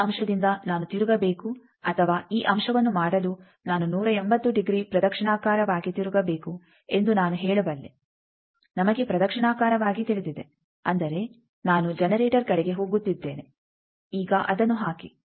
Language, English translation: Kannada, I can say that from this point I need to go a rotation or I need to take a rotation of 180 degree clockwise; to do this point we know clockwise; that means, towards the generator I am going now put it